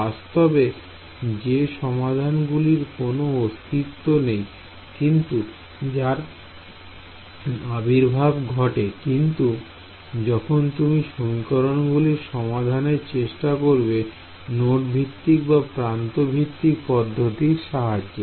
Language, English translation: Bengali, Solutions which physically do not exist, but they appear when you try to solve the system of equations using node based those go away when you used edge based elements right